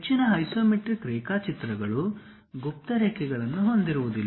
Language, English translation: Kannada, Most isometric drawings will not have hidden lines